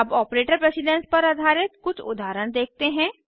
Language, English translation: Hindi, Next, let us learn about operator precedence